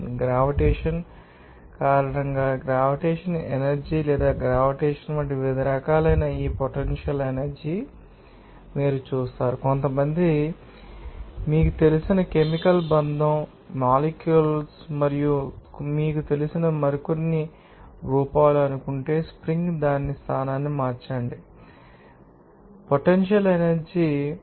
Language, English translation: Telugu, And you will see that this potential energy maybe of different types like gravitational energy or gravitational due to the gravitation and also due to some you know that chemical bonding of the, you know, atoms and also some other you know, forms like, if suppose the spring needs, change its location, there will be you know that, you know, that potential energy will be you know, really there